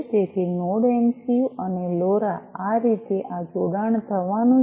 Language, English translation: Gujarati, So, Node MCU and LoRa, this is how this connection is going to take place